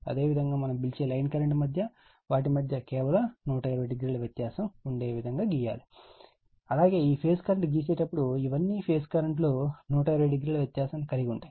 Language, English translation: Telugu, Similarly you draw just 120 degree part between among your what we call between your line current as well as when you draw the phase current these are all this phase current 120 degree apart right